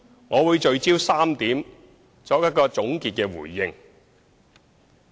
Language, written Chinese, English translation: Cantonese, 我會聚焦於3點，作一個總結的回應。, I will focus on three points and give a concluding response